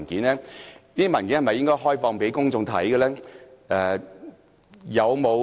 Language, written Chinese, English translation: Cantonese, 這些文件是否應開放讓公眾索閱？, Should these documents be made available for public inspection?